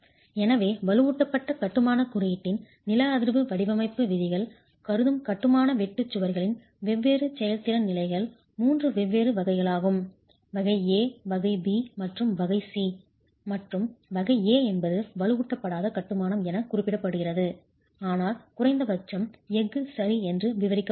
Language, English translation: Tamil, So, the different performance levels of the masonry shear walls that the seismic design provisions of the reinforced masonry code considers are three different categories, type A, type B and type C, and type A is what is referred to as unreinforced masonry but detailed with minimum steel